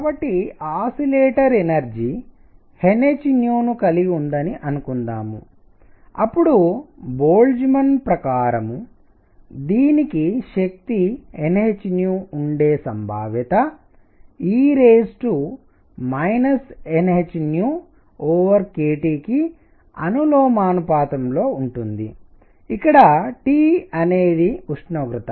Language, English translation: Telugu, So, that let us suppose that the oscillator has energy n h nu then according to Boltzmann, the probability that it has energy n h nu, is proportional to e raised to minus n h nu over k T where T is the temperature